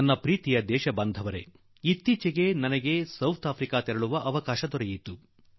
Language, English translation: Kannada, My dear countrymen, I had the opportunity to visit South Africa for the first time some time back